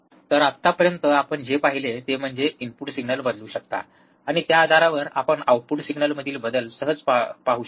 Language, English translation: Marathi, So, what we have seen until now is that you can change the input signal, and based on that, you can easily see the change in the output signal